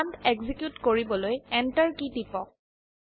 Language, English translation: Assamese, Press Enter key to execute the command